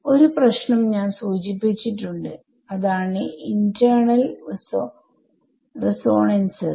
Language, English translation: Malayalam, I mentioned one problem which is called internal resonances